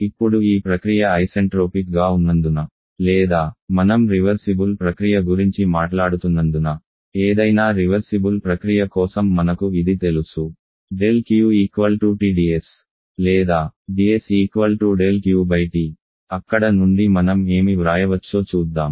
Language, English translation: Telugu, Now at this process is being isentropic or as we are you talking about a reversible process for any reversible process we know that del Q is equal to ds or ds = del Q by T